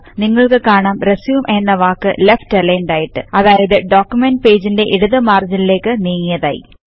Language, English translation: Malayalam, You will see that the word RESUME is left aligned, meaning it is towards the left margin of the document page